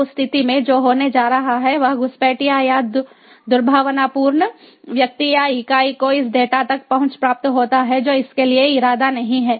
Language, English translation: Hindi, so in that case, what is going to happen is the, the ah, ah, the, the intruder or the malicious ah person or the entity which gets access to this data, which was not intended for it